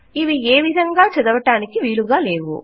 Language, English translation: Telugu, They are not readable in any way